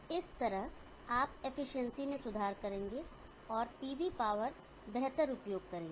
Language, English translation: Hindi, In this way you will be improving the efficiency and get the better utilization of the PV power